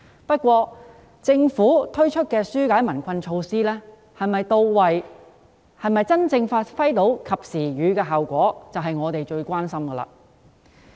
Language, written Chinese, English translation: Cantonese, 不過，政府推出的紓解民困措施是否到位及能否真正發揮"及時雨"的效果，是我們最關心的。, Notwithstanding that our gravest concern is whether the relief measures introduced by the Government are in place and can really serve the purpose of providing timely relief